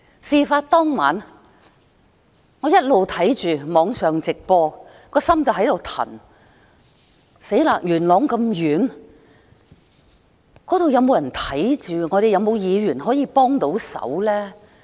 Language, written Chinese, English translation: Cantonese, 事發當晚，我一直收看網上直播，一直忐忑不安，元朗那麼遠，那邊有沒有人去看看情況？, During that night I had been watching the incident live online with anxiety . Yuen Long was so far away had anybody gone there to check the situation?